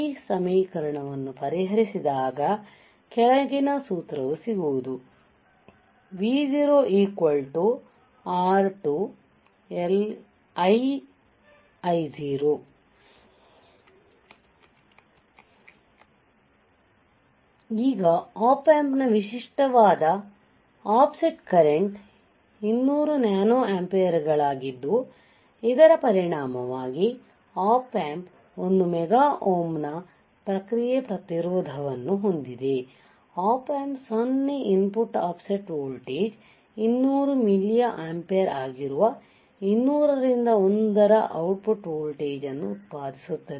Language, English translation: Kannada, Now, a typical offset current of an Op Amp is 200 nano amperes it results that within Op Amp has a feedback resistance of one mega ohm, the Op Amp would produce an output voltage of 200 into 1 which is 200 milliampere for 0 input offset voltage this much is the change